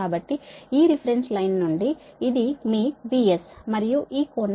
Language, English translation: Telugu, so, from this reference line, this is your v